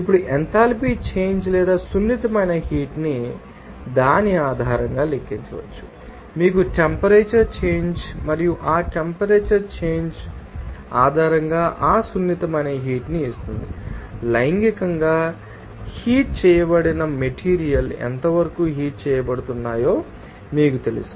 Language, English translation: Telugu, Now, that enthalpy change or sensible heat can be calculated based on that, you know temperature change and that temperature change will give you that sensible heat based on that, how much you know materials sexually being heated is being heated and also what will be the heat capacity or specific heat capacity of that material